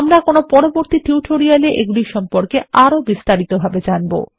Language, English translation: Bengali, We will learn more about them in more advanced tutorials